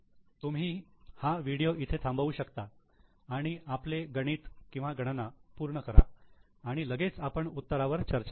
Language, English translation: Marathi, So, you can pause the video here, complete the calculation and right away we are ready with the solution to you